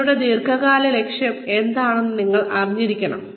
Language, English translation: Malayalam, You should know, what your long term goal is